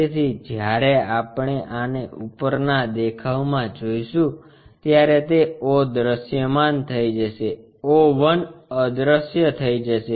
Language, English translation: Gujarati, So, when we are looking at this in the top view, o will be visible o one will be invisible